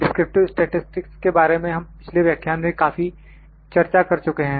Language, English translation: Hindi, Descriptive statistics we have discussed this a lot in the previous lectures